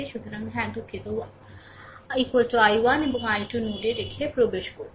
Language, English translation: Bengali, So, yeah sorry entering one is equal to i 1 and i 2 leaving the node